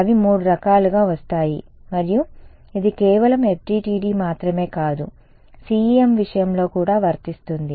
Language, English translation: Telugu, They come in three varieties and this is true of CEM not just FDTD ok